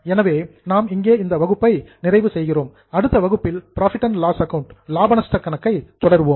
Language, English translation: Tamil, Today we are going to start with the next financial statement which is profit and loss account